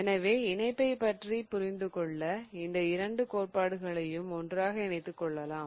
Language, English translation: Tamil, So, in fact in order to understand bonding we kind of use both these theories and they can be combined together